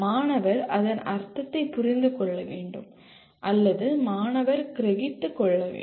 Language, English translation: Tamil, Student should be able to understand what it means or the student should be able to comprehend